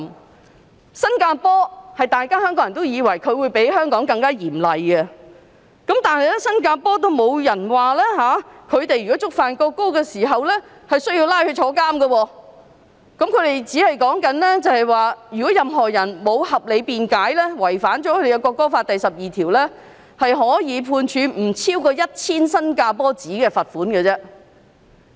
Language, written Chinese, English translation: Cantonese, 至於新加坡，香港人都以為它比香港更嚴厲，但在新加坡觸犯有關法例，也不會被判監禁。當地的法例只是訂明任何人如沒有合理辯解，違反國歌法第12條，可被判罰款不超過 1,000 新加坡元。, As for Singapore while Hong Kong people expect its penalty to be harsher than that in Hong Kong the fact is that in Singapore a person who commits this offence will not be sentenced to jail because the law only states that any person who without reasonable excuse contravenes rule 12 of the national anthem act shall be liable to a fine not exceeding S1,000